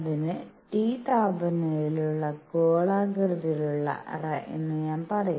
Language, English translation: Malayalam, So, I would say spherical cavity at temperature T